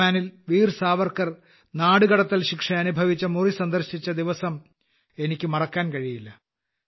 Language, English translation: Malayalam, I cannot forget the day when I went to the cell in Andaman where Veer Savarkar underwent the sentence of Kalapani